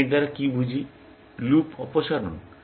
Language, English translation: Bengali, What do I mean by this; remove loops